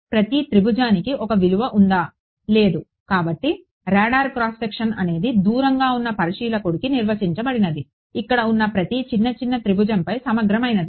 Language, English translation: Telugu, A value for each triangle at; no; so, the radar cross section is something that is defined for a observer far away is an integral over every little little triangle over here